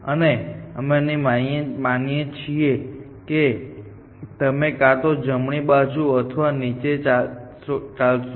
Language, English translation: Gujarati, And we are assuming that you can only travel either to the right or down essentially